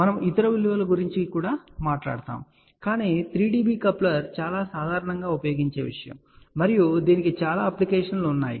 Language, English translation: Telugu, We will also talk about other values, but a 3 dB coupler is a very very commonly use thing and it has many application